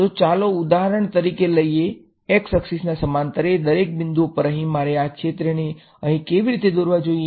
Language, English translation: Gujarati, So, let us take for example, the x axis every point along the x axis over here, the quantity is how should I draw this field over here